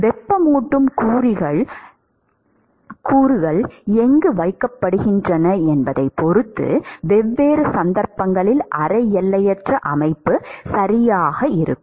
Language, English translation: Tamil, Depending upon where the heating elements are placed, one could assume in different cases semi infinite system all right